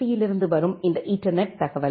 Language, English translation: Tamil, Then you have this ethernet information